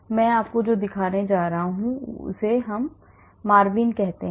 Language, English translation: Hindi, I am going to show you that is called MARVIN